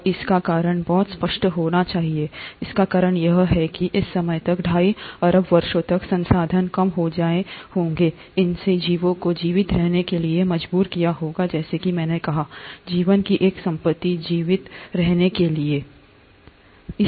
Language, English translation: Hindi, And the reason must have been pretty evident, the reason being that by this time, by the time of two and a half billion years, resources must have become lesser, it would have compelled the organisms to survive as I said, one property of life is to survive